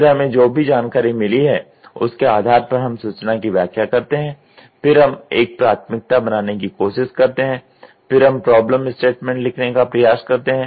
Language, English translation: Hindi, Then based on the information whatever we have got we do information interpretation then we try to do a prioritisation then we try to write the problem statement